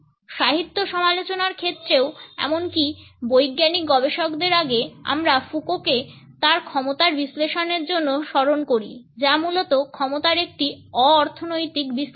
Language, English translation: Bengali, In literary criticism even prior to these scientific researchers we remember Foucault for his analysis of power which is basically a non economist analysis of power